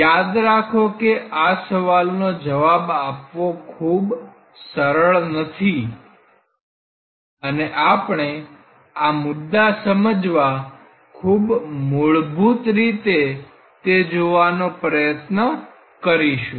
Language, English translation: Gujarati, Remember these are not very simple questions to answer and we will try to look into very basics of looking into these issues